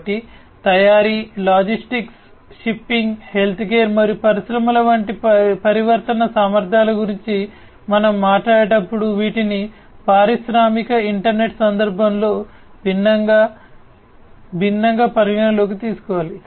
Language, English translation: Telugu, So, when we talk about transformation capabilities such as manufacturing, logistics, shipping, healthcare and industries these will have to be taken in the into consideration differentially, differently in the context of industrial internet